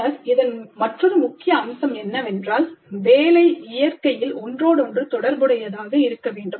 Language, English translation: Tamil, Then another key feature of this is that the work should be interdisciplinary in nature